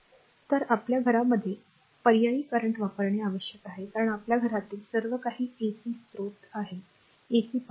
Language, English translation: Marathi, So, alternating current is use in our house hold the because all our household everything is ac source, ac power right